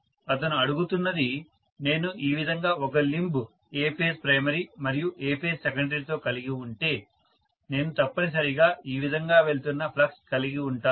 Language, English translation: Telugu, What he is asking is if I just have, so if I am going to have one limb like this with A phase primary, A phase secondary, I am going to have essentially the flux going like this, it has to complete itself through what